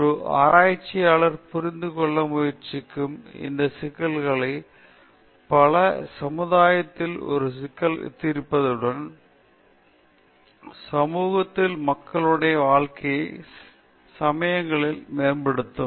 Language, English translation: Tamil, Many of these issues which a researcher tries to understand would be resolving an issue in the society, which would drastically improve, sometimes, the lives of people in the society